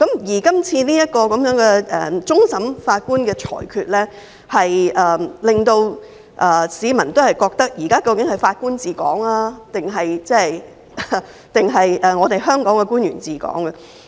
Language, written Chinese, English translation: Cantonese, 而這次終審法院的裁決，令市民質疑現時究竟是法官治港，還是香港的官員治港？, This ruling of CFA has made the public query whether Hong Kong is now administered by judges or officials in Hong Kong